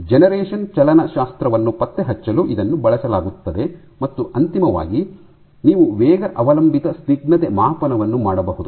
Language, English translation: Kannada, This is used for tracking the generation kinetics and finally, you can have you can do rate dependent viscosity